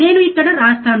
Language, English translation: Telugu, Let me write it down here